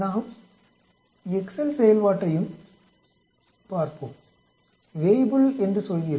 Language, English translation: Tamil, Let us look at the Excel function also, we say Weibull